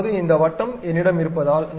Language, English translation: Tamil, Now, because this circle I have it